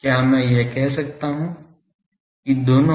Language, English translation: Hindi, So, can I say that both